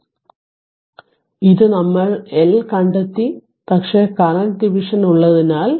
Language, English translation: Malayalam, So, this we have find out i L right, but as the current division is there